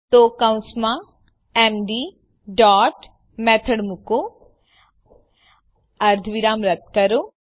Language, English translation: Gujarati, So put md dot method inside the parentheses remove the semi colon